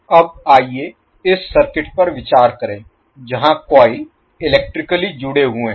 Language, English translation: Hindi, Now let us consider the circuit where the coils are electrically connected also